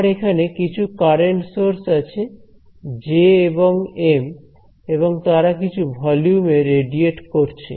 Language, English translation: Bengali, So, I have some current sources over here J and M and there radiating in some volume ok